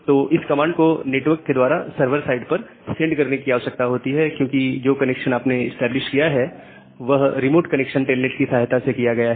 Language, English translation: Hindi, So, that ls command need to be send to the server side over the network because, that is remote connection using telnet that you have done